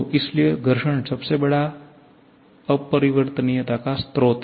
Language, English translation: Hindi, So, friction is the biggest source of irreversibility